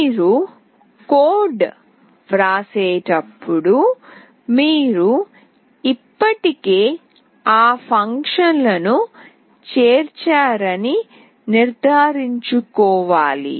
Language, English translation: Telugu, When you write the code you have to make sure that you have already included those functions